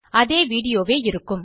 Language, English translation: Tamil, Video remains the same